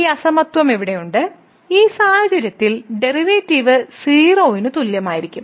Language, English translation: Malayalam, So, we have here this inequality that the derivative will be less than equal to in the situation